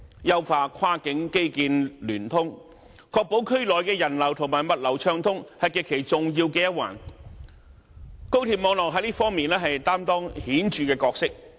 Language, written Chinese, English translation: Cantonese, 優化跨境基建聯通，確保區內人流和物流暢通，是極其重要的一環，高鐵網絡在這方面擔當顯著的角色。, One very important aspect is the improvement to linkage of cross - border infrastructure to ensure smooth flow of freight and passengers within the region and here the high - speed rail HSR network is playing a conspicuous role